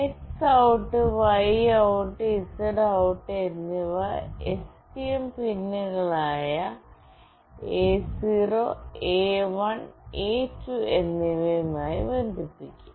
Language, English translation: Malayalam, X OUT, Y OUT and Z OUT will be connected to the STM pins A0, A1 and A2